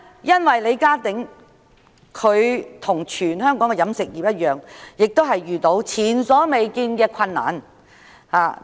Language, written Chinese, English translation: Cantonese, 因為李家鼎的食肆與全香港的飲食業無異，均遇上前所未見的困難。, It is because Steve LEEs restaurant has encountered unprecedented difficulties as has the whole catering industry of Hong Kong